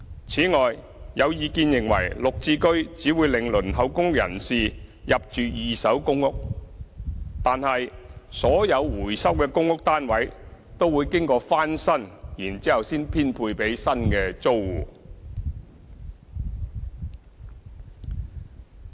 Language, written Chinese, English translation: Cantonese, 此外，有意見認為"綠置居"只會令輪候公屋人士入住二手公屋，但所有回收的公屋單位都會經過翻新，然後才編配給新的租戶。, Besides as regards views that applicants on the PRH Waiting List would end up living in second - hand PRH units as a result of GHS it should be noted that all recovered PRH units will be renovated before allocation to new tenants